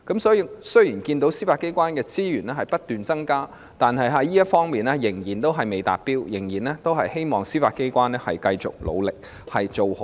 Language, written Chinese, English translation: Cantonese, 雖然我們看到司法機構的資源不斷增加，但這方面仍然未達標，我們希望司法機構能繼續努力，保持水準。, Although we see continuous increases in the resources for the Judiciary it is still below par in this aspect . We hope the Judiciary can carry on with its hard work and maintain its standard